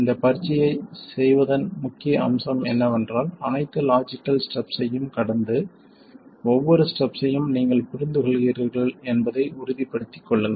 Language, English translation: Tamil, The point of doing this exercise is to go through all the logical steps and make sure that you understand every step